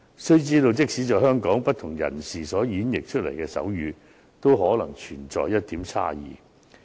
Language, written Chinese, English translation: Cantonese, 須知道，即使在香港，不同人士演繹出來的手語都可能存在差異。, One needs to know that different people in Hong Kong may sign differently